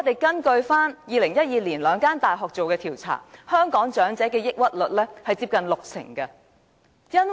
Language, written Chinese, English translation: Cantonese, 根據2012年兩間大學所做的調查，香港長者患上抑鬱症的比率，接近六成。, According to a survey conducted by two universities in 2012 nearly 60 % of the elderly people suffered from depression in Hong Kong